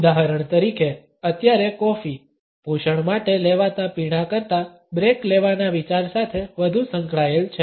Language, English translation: Gujarati, For example, coffee is now associated more with the idea of taking a break than with taking a drink for nourishment